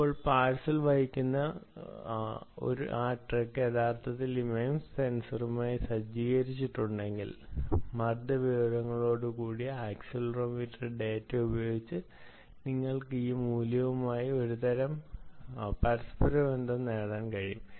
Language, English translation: Malayalam, now, if that truck carrying the parcel actually is equip with this mems sensor ah, ah the accelero, ah the accelerometer data, along with the pressure information, ah, you should be able to get some sort of correlation of these values